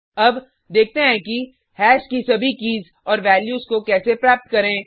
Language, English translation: Hindi, Now, let us see how to get all keys and values of hash